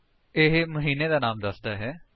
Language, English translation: Punjabi, It gives the name of the month